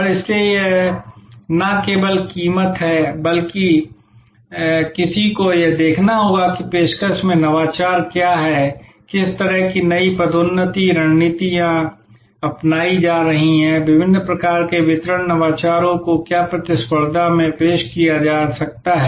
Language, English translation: Hindi, And so it is not only the price, but one has to look at what are the innovations in the offering, what kind of new promotion strategies are being adopted, what are the different kinds of distribution innovations that the competition might be introducing